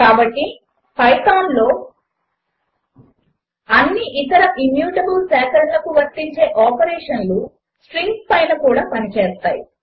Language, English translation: Telugu, So all the operations that are applicable to any other immutable collection in Python, works on strings as well